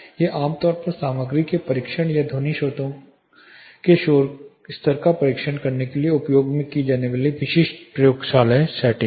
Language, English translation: Hindi, These are typical laboratory settings commonly used for material testing or testing the noise level from sound sources